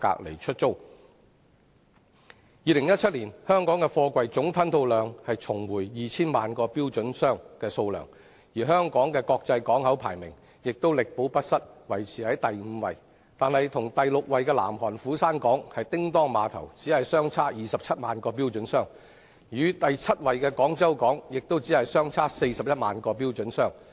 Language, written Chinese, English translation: Cantonese, 香港2017年的貨櫃總吞吐量重回 2,000 萬個標準箱的水平，國際排名因而力保第五位，但與第六位的南韓斧山港相比，只相差27萬個標準箱；與第七位的廣州港亦只相差41萬個標準箱。, In 2017 Hong Kong Port HKP managed to keep its fifth place in world rankings as container throughput returned to the level of 20 million Twenty - foot Equivalent Units TEUs . However HKP is just ahead of the sixth - ranked Busan Port in South Korea by 270 000 TEUs and the seventh - ranked Guangzhou Port by 410 000 TEUs respectively